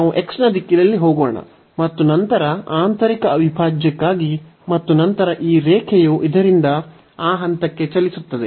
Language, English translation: Kannada, So, let us go in the direction of x and then for the inner integral and then this line will move from this to that point